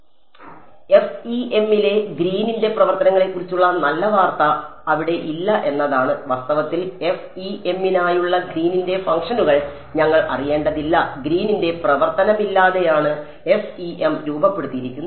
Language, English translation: Malayalam, So, the good news about Green’s functions in FEM is that not there, we do not need to know Green’s functions for FEM in fact, FEM is formulated without Green’s function